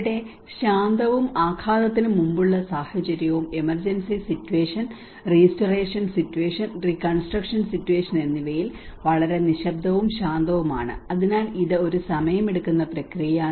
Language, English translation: Malayalam, And here is very quiet and calm in the quiescence and pre impact situation and the emergency situation, restoration situation and the reconstruction situation you know so this is a kind of time taking process